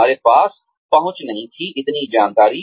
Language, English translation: Hindi, We did not have access to, so much information